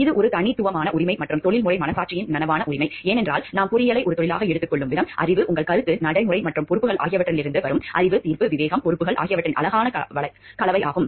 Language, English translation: Tamil, This is an unique right and the conscious right of professional conscience because the way we take engineering as a profession, it is a beautiful blend of knowledge, judgment, discretion, responsibilities, which come up from the knowledge your concept the practice and responsibilities and this gives rise to a professional conscience